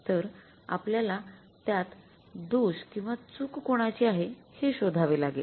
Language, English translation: Marathi, So, now we will have to find out that whose fault is it